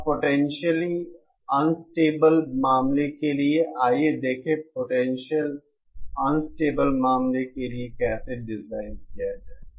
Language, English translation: Hindi, Now for potentially unstable case, Let us see how to design for potentially unstable case